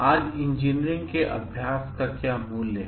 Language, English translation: Hindi, What values underlie engineering practice today